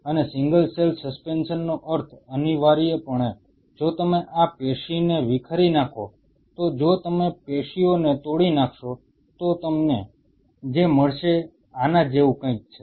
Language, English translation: Gujarati, And the single cell suspension means essentially if you dissociate this tissue if you dissociate the tissue what you will be getting is something like this